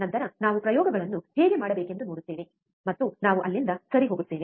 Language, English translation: Kannada, Then we will see how to perform the experiments, and we will move from there ok